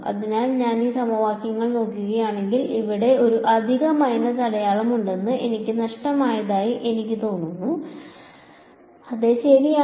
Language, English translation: Malayalam, So, let us see I have a feeling I missing minus there is a extra minus sign over here right if I look at these equations yeah right